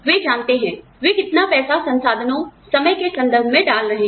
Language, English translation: Hindi, They know, how much they are putting, in terms of money, resources, time